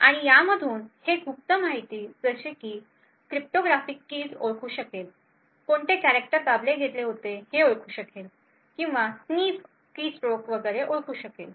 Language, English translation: Marathi, And from this it would be able to identify secret information like cryptographic keys, it would identify what characters have been pressed, or it would be able to sniff keystrokes and so on